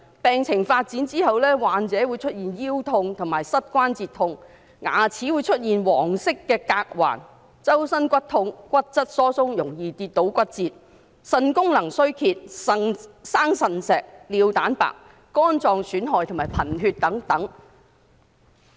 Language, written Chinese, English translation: Cantonese, 病情發展後，患者會出現腰痛和膝關節痛、牙齒會出現黃色的鎘環、全身骨骼疼痛、骨質疏鬆、容易跌倒骨折、腎功能衰竭、腎結石、尿蛋白、肝臟損害和貧血等。, Its further manifestation includes low back pain and pain at the knees and joints yellowing of the teeth aching bones all over the body osteoporosis prone to falls and bone fractures deterioration of renal functions renal stones proteinuria impaired liver functions anemia etc